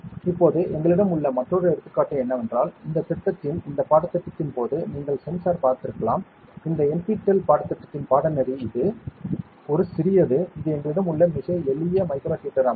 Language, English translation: Tamil, Now, another example that we have is you might have seen the sensor during this course of this project, course of this NPTEL course it is a small, it is a very simple micro heater structure that we have